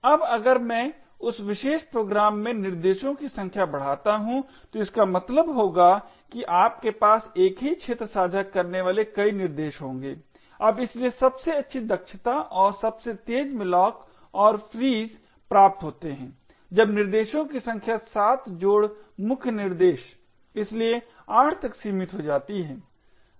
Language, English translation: Hindi, Now if I increase the number of threads in that particular program then it would mean that you would have multiple threads sharing the same arena, now therefore best efficiency and fastest malloc and frees are obtained when the number of threads are restrict to7 plus the main thread so therefore 8